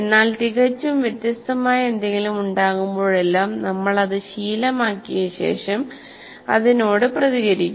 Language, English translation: Malayalam, But whenever there is something that is completely different after we get habituated, it comes, we respond